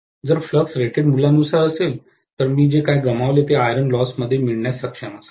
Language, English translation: Marathi, If the flux is at rated value, I should be able to get whatever is lost as the iron loss